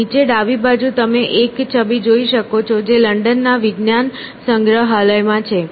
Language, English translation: Gujarati, On the bottom left you can see an image which is there in London science museum